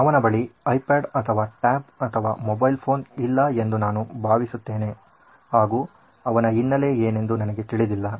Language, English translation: Kannada, I guess he doesn’t have an iPad or a tablet or a mobile phone but I don’t know what he is up